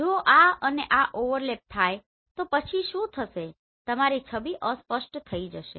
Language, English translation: Gujarati, If there is any overlap between this and this then what will happen your image will get blurred